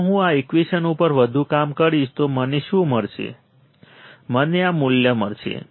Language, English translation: Gujarati, If I further work on this equation, what will I get I will get this value